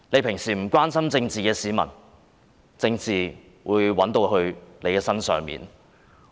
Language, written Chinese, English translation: Cantonese, 平日不關心政治的市民，政治也會找上你。, Even if you are usually not concerned about politics politics will come to you